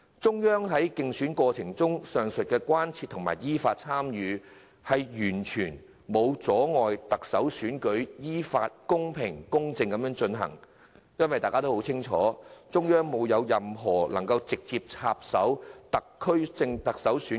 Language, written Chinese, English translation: Cantonese, 中央對競選過程表示關切，其間依法參與，完全沒有阻礙特首選舉依法、公平、公正的進行，大家都很清楚並無具體證據顯示中央直接插手特首選舉。, The Central Authorities concern during the election campaign and their participation in accordance with law has not impeded the fair and equitable conduct of the Chief Executive Election as provided by the law . We are also aware that there is no evidence of the Central Authorities interfering in the election